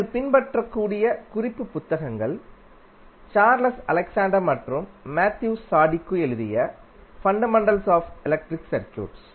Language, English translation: Tamil, The reference books which you can follow are like Fundamentals of Electric Circuits by Charles Alexander and Matthew Sadiku